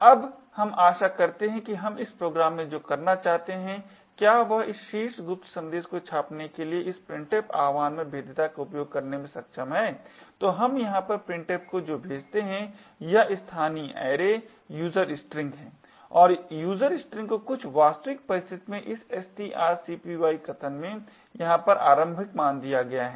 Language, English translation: Hindi, Now we hope what we want to do in this program is to be able to use vulnerability in this printf invocation to print this top secret message what we pass printf over here is this local array user string and user string is initialised in this string copy statement over here in a more realistic situation